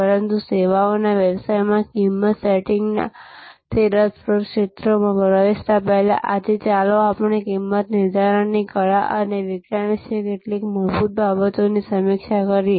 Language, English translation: Gujarati, But, before we get into those interesting areas of price setting in services business, let us review today some fundamentals about the art and science of pricing